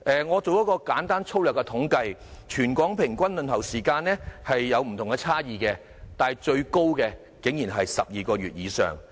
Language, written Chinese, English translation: Cantonese, 我進行了一項粗略統計，全港各中心的輪候時間各有差異，但最長的竟然要12個月以上。, Based on my rough estimation the waiting time for individual EHCs in the territory differs with the longest waiting for more than 12 months